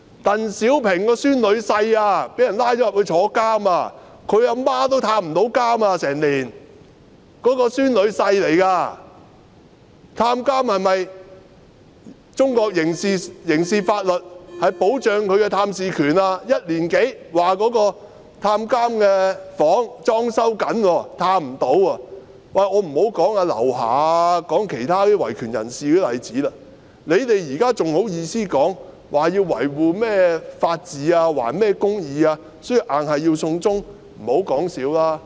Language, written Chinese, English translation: Cantonese, 當局說探監的房間正在裝修，但裝修了1年多也不能探訪，我也不說劉霞和其他維權人士的例子了。你們現在還好意思說維護法治，還甚麼公義，所以必須"送中"，不要說笑了。, The authorities said that his prison cell is undergoing decoration but no visit has been allowed for more than a year because of the decoration works in progress let alone the examples of LIU Xia and other human rights activists